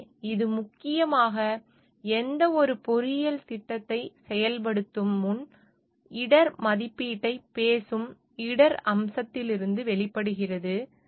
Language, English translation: Tamil, So, this mainly emerges from the aspect of risk which talks of the risk assessment before implementing any engineering project